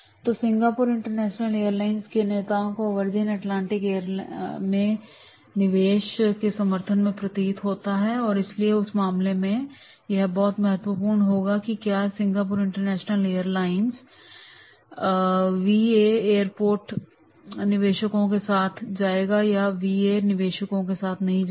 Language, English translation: Hindi, So Singapore industry international airlines leaders seem to be in support of the Virginia Atlantic investments and therefore in that case, it will be very, very important that is the whether the Singapore international airlines go with the VA investments or they should not go with the VA investments